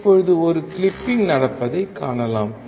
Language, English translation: Tamil, And now we can see there is a clipping occurring